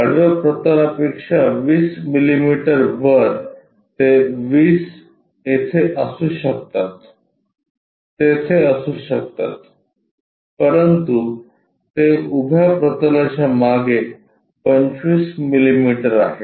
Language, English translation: Marathi, 20 millimetres above horizontal plane above 20 it can be here it can be there, but it is 25 millimetres behind vertical plane